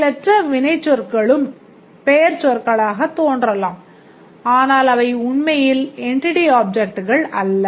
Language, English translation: Tamil, The passive verbs also appear like noun but they are not really entity objects